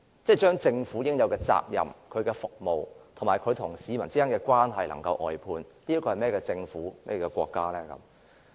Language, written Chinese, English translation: Cantonese, 把應有的責任、服務，以及和市民建立的關係外判，這是一個怎麼樣的國家和政府？, What sort of a government or country is it if its due responsibility services and relationship with its people are outsourced?